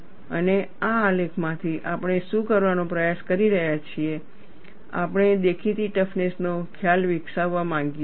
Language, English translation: Gujarati, And from this graph, what we are trying to do is, we want to develop the concept of apparent toughness